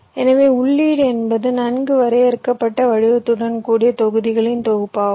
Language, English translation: Tamil, so the inputs is a set of modules with well define shape